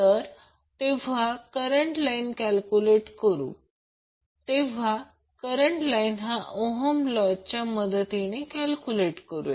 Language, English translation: Marathi, Now when we calculate the line current, we calculate the line current with the help of Ohm's law